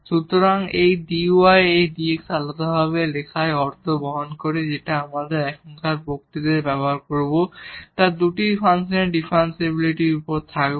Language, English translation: Bengali, So, writing this dy and dx separately makes sense and that we will also use now in the in the in the next lecture which will be on the differentiability of the two functions